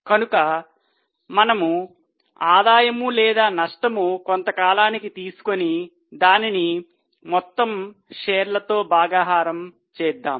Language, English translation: Telugu, So we take profit or loss for the period and divided by number of shares